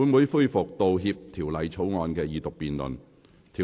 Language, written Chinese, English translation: Cantonese, 本會現在恢復《道歉條例草案》的二讀辯論。, We now resume the Second Reading debate on Apology Bill